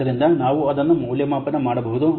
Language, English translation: Kannada, So we can evaluate it